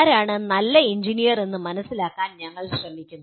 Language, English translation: Malayalam, Where do we find who is a good engineer